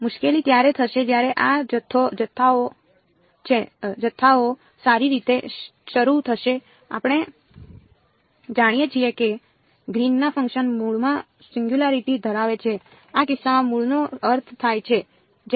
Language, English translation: Gujarati, The trouble will happen when these quantities begin to well we know that Green’s functions have a singularity at the origin; origin in this case means when r is equal to r prime